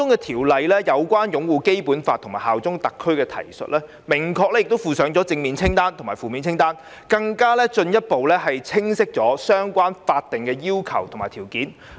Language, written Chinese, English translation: Cantonese, 《條例草案》就有關擁護《基本法》及效忠特區的提述，明確附上正面清單及負面清單，進一步清晰相關的法定要求及條件。, As regards the reference to upholding the Basic Law and bearing allegiance to SAR the Bill has specifically provided a positive list and a negative list to further spell out the relevant legal requirements and conditions